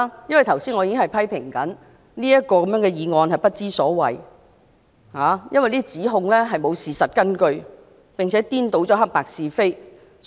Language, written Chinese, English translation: Cantonese, 我剛才已經批評何君堯議員的指控沒有事實根據，並且顛倒黑白是非，不知所謂。, Just now I criticized that Dr Junius HOs allegations are unfounded; it confounds right and wrong and is totally nonsensical